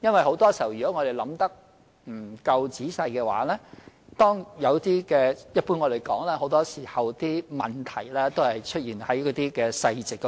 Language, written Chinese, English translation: Cantonese, 很多時候，如果我們想得不夠仔細的話，便會出問題，正如大家常說，問題一般出現在細節中。, If we do not think about them carefully problems will often arise and just as Members always say the problem generally lies in the details